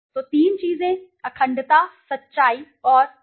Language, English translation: Hindi, So three things, integrity, truth, and commitment